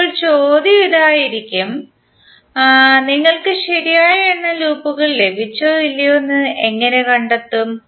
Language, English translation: Malayalam, Now the question would be, how you will find out whether you have got the correct number of loops or not